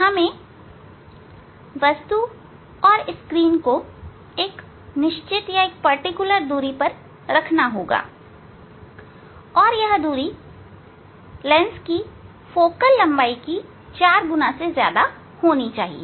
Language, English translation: Hindi, we have to keep object and screen at a fixed distance and that should be greater than four times of focal length of the of the lens